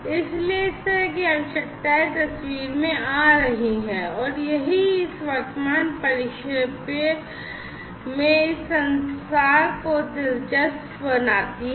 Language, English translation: Hindi, So, those kind of requirements are coming into picture and that is what makes this communication interesting in this current perspective